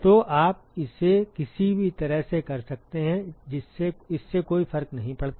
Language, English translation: Hindi, So, you can do it either way it does not matter